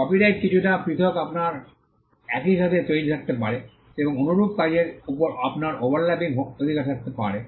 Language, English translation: Bengali, Copyright is slightly different you can have simultaneous creations and you can have overlapping rights over similar works